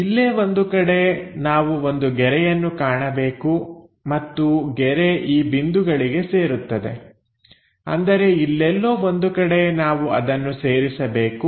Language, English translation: Kannada, So, somewhere here we have to see a line and that line joins at this points; that means, here somewhere we are supposed to join that